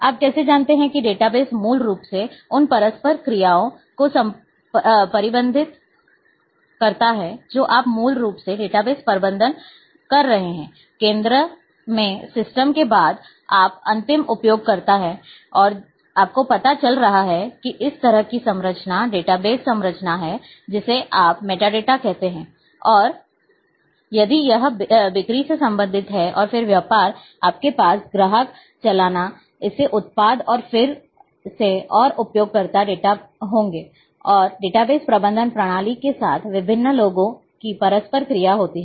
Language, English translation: Hindi, How you know database manage the interactions basically you are having a database management since system in the centre you are having end users and you are having you know this kind of a structure database structure that you are having metadata, and if it is related with sales and business then, you would be having customers invoice this products and again and user data and then there is a interaction of different people with the data base management system